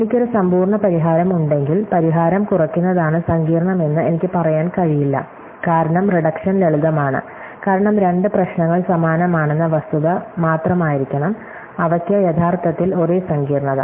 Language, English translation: Malayalam, If I have a complete solution for a, then I cannot say that the solution reduction is what may set complex, it is because reduction simple, it must be only the fact with two problems are similar that they are actually having the same complexity